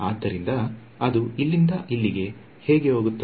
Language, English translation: Kannada, So how will it go from here to here